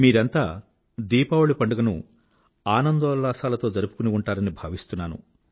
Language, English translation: Telugu, All of you must have celebrated Deepawali with traditional fervour